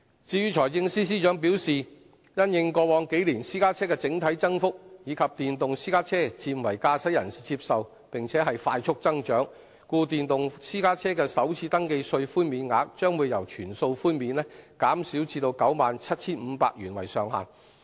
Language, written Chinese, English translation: Cantonese, 至於財政司司長表示因應過往數年私家車的整體增幅，以及電動私家車漸為駕駛人士接受並快速增長，所以電動私家車的首次登記稅寬免額，將由全數寬免減至以 97,500 元為上限。, According to the Financial Secretary given the overall growth of the private car fleet in recent years the increasing acceptance of electric private cars by drivers and the rapid growth in the number of electric private cars the policy of waiving the First Registration Tax of electric private cars will be changed from a full waiver to capping the waiver at 97,500